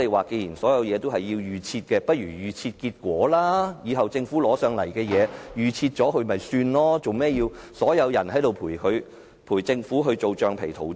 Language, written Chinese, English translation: Cantonese, 既然所有事情也是預設，立法會不如把所有結果預設，日後政府要立法會通過法案，把結果預設便可以了，為甚麼要所有人陪政府當橡皮圖章？, Since everything has been predetermined all voting results of this Council should also be decided beforehand so as to make things easier for the Government in the future when it wishes the Legislative Council to endorse a particular bill . Why bother to put up a show and make everyone a rubber stamp?